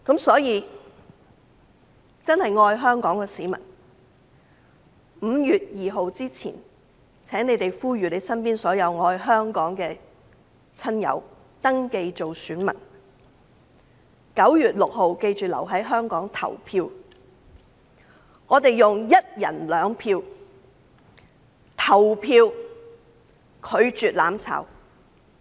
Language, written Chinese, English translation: Cantonese, 所以，真正愛香港的市民，請在5月2日前呼籲身邊所有愛香港的親友登記做選民，並記得要在9月6日留在香港投票，我們要用一人兩票，拒絕"攬炒"。, Hence will people who truly love Hong Kong please call on all relatives and friends who cherish this place to register as electors before 2 May and remember to stay in Hong Kong to vote on 6 September . We should each use our two votes to refuse mutual destruction